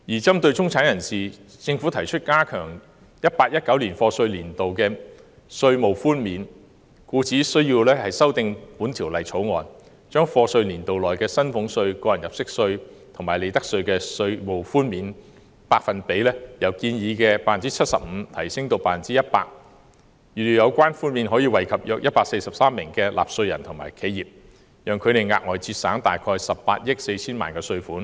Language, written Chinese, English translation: Cantonese, 針對中產人士，政府提出加強 2018-2019 課稅年度的稅務寬免，故需修訂《條例草案》，把課稅年度內的薪俸稅、個人入息課稅及利得稅的稅務寬免百分比由建議的 75% 提升至 100%， 預料有關寬免可惠及約143萬名納稅人和企業，讓他們額外節省約18億 4,000 萬元稅款。, Insofar as the middle class is concerned the Government proposed beefed - up tax reductions for the year of assessment 2018 - 2019 . As a result the Bill has to be amended to increase the reduction of salaries tax tax under personal assessment and profits tax for the year of assessment from the proposed 75 % to 100 % . About 1.43 million taxpayers will benefit from a further saving of 1.84 billion